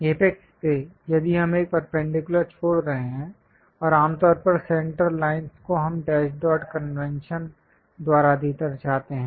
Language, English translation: Hindi, From apex, if we are dropping a perpendicular, and usually centre lines we represent by dash dot convention